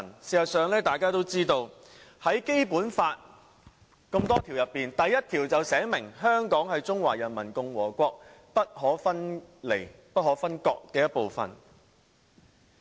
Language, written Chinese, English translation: Cantonese, 事實上，《基本法》第一條便訂明："香港特別行政區是中華人民共和國不可分離的部分。, In fact Article 1 of the Basic Law stipulated that The Hong Kong Special Administrative Region is an inalienable part of the Peoples Republic of China